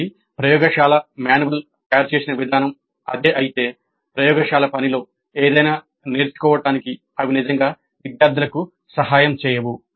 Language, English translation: Telugu, So if that is the way the laboratory manuals are prepared, probably they would not really help the students to learn anything in the laboratory work